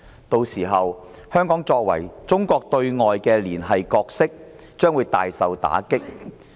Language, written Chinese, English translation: Cantonese, 屆時，香港作為中國對外連繫的角色將會大受打擊。, By then Hong Kongs role as the external connector of China will be dealt a severe blow